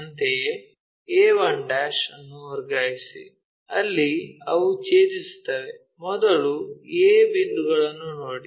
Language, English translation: Kannada, Similarly, a 1' transfer it, where they are intersecting first look at that point a